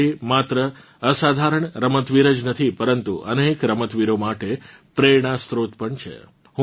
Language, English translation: Gujarati, Mithali has not only been an extraordinary player, but has also been an inspiration to many players